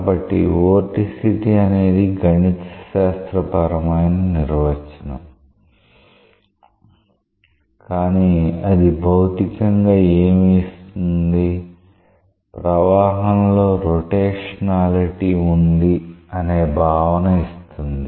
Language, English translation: Telugu, So, vorticity is a mathematical definition, but what it gives physically; a sense of rotationality in a flow